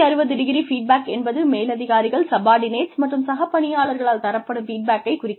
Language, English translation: Tamil, 360ø feedback is, when feedback is given by superiors, subordinates and peers